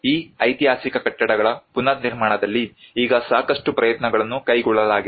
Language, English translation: Kannada, Now a lot of efforts have been taken up in the reconstruction of these historic buildings